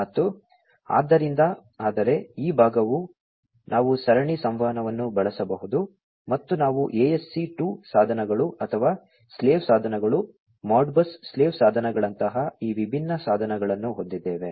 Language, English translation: Kannada, And, so, but this part we can use the serial communication, and we have this different devices such as the ASC II devices or, the slave devices, Modbus slave devices, and so on